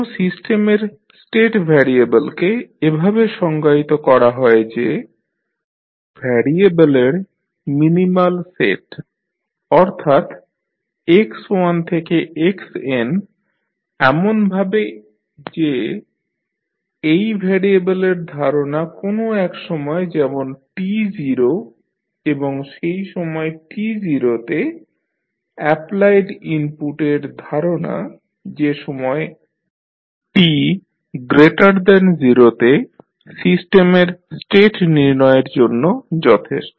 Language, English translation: Bengali, Now, state variable of a system are defined as a minimal set of variable that is x1 to xn in such a way that the knowledge of these variable at any time say t naught and information on the applied input at that time t naught are sufficient to determine the state of the system at any time t greater than 0